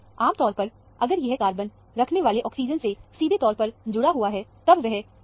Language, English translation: Hindi, Normally, if it is directly attached to a oxygen bearing carbon, it will come around 4